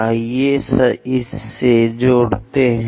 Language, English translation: Hindi, We have to connect